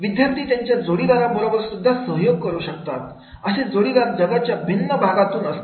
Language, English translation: Marathi, Students can collaborate with their peers from different parts of the world